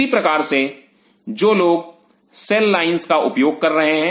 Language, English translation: Hindi, Similarly, those who are using cell lines